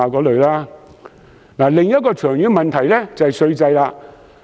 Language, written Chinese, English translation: Cantonese, 另一個長遠問題是稅制。, Another long - term problem is about the tax regime